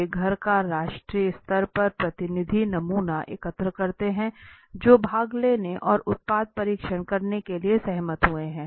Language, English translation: Hindi, They collect a nationally representative sample of household who agreed to participate and product tests